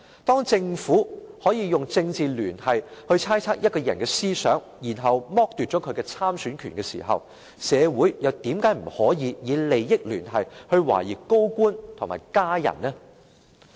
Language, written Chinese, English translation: Cantonese, 當政府可以用"政治聯繫"來猜測一個人的思想，然後剝奪她的參選權時，社會又為何不可以用"利益聯繫"來懷疑高官及其家人？, When the Government can use political affiliation to speculate on a persons line of thinking and strip her of the right to stand for election why cant society use entanglement of interests to suspect senior officials and their family members?